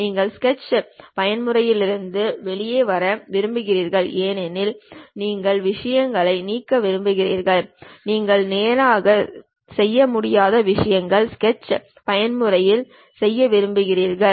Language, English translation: Tamil, You want to come out of Sketch mode because you want to delete the things, you want to erase the things you cannot straight away do it on the sketch mode